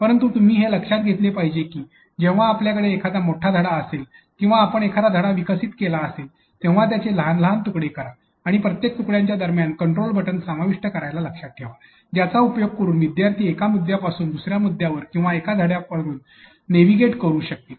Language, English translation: Marathi, So, but all in all what you need to understand is that whenever you have a long lesson or you are developing your lesson remember to break it into smaller smaller pieces and between each pieces remember to include control buttons such as continue button that will allow your student people to navigate from one point to the other or from one unit that she or he has finished leading into the next unit